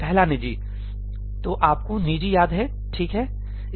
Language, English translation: Hindi, First private so, you remember ëprivateí, right